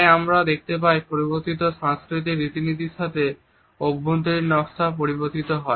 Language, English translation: Bengali, So, we find that with changing cultural norms the interior space designs also change